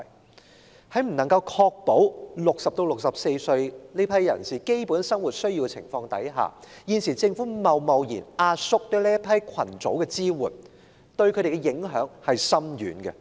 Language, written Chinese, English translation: Cantonese, 現時政府在未能確保60歲至64歲人士的基本生活所需的情況下貿然壓縮對這個群組的支援，對他們的影響深遠。, Without assuring the subsistence of people aged between 60 and 64 the Government has now hastily reduce the support for this group of people thereby bringing far - reaching impact on them